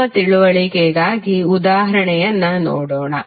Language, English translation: Kannada, Let us see the example for better understanding